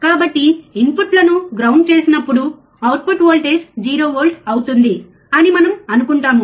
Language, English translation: Telugu, We have grounded, input we have grounded, means output voltage should be 0 volt, right